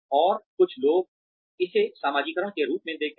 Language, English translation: Hindi, And, some people see it as a way to socialize